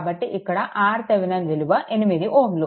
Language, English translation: Telugu, So, here R Thevenin is 80 8 ohm right